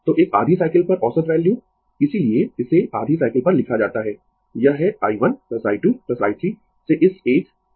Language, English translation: Hindi, So, average value over a half cycle that is why it is written over a half cycle it is i 1 plus i 2 plus i 3 up to this one by n